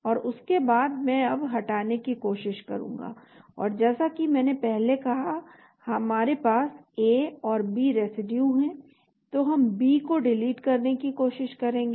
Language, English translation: Hindi, And after that I will now try to delete and as I said earlier we have A and B residue so we will try to delete the B